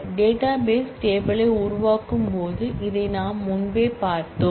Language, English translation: Tamil, we had seen this before we can while creating the database table